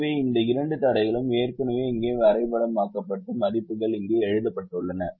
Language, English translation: Tamil, so these two constraints have already been mapped here and the values are written here